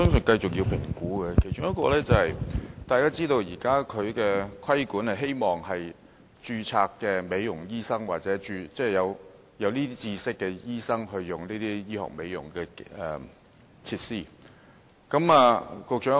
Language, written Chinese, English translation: Cantonese, 大家都知道，現時的規管是希望由註冊美容醫生，或有這方面知識的醫生操作這些醫學美容設施。, We all know that the present regulatory regime seeks to ensure that medical devices for cosmetic purposes are operated by registered cosmetic doctors or doctors equipped with the relevant knowledge